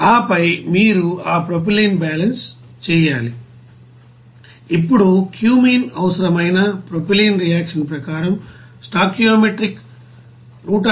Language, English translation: Telugu, And then you have to do that propylene balance, now propylene required for cumene is as per you know reaction stoichiometric is 173